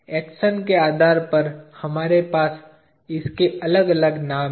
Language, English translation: Hindi, Depending on the action, we have different names to it